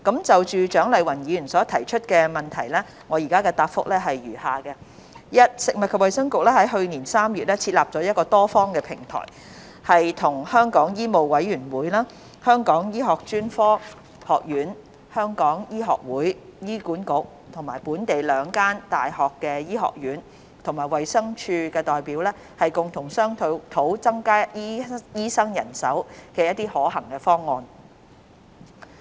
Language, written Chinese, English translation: Cantonese, 就蔣麗芸議員所提出的質詢，我現答覆如下：一食物及衞生局於去年3月設立了多方平台，與香港醫務委員會、香港醫學專科學院、香港醫學會、醫管局、本地兩間醫學院和衞生署的代表共同商討增加醫生人手的可行方案。, My reply to the question raised by Dr CHIANG Lai - wan is as follows 1 The Food and Health Bureau set up a multi - party platform in March last year engaging representatives from the Medical Council of Hong Kong MCHK the Hong Kong Academy of Medicine HKAM the Hong Kong Medical Association HA the two medical schools in Hong Kong and the Department of Health to discuss feasible options for increasing the supply of doctors